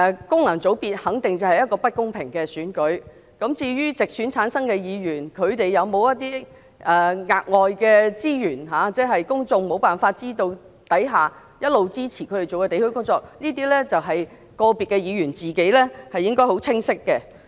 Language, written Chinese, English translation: Cantonese, 功能界別肯定是不公平的選舉，至於直選產生的議員有沒有額外的資源，在公眾無法知悉的情況下，一直支持他們進行地區工作，這些個別議員自己應該很清楚知道。, FC elections are surely unfair . As regards whether or not Members returned by direct elections all along have additional resources to support their work in various districts without the public being aware of it the Members in question should know this full well